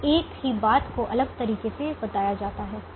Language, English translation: Hindi, now same thing is told differently